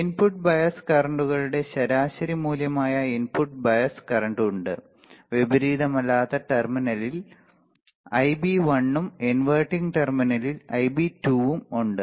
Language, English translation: Malayalam, It has an input bias current as an average value of input bias currents Ib1 at non inverted terminal and Ib2 at inverting terminal